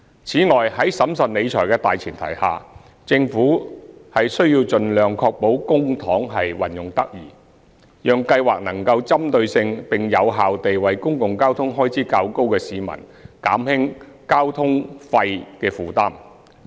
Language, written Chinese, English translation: Cantonese, 此外，在審慎理財的大前提下，政府需盡量確保公帑運用得宜，讓計劃能夠針對性並有效地為公共交通開支較高的市民減輕交通費負擔。, In addition on the premise of fiscal prudence the Government has to ensure that public money is properly used under the Scheme and that the Scheme could effectively alleviate the fare burden of the targeted commuters whose public transport expenses are relatively high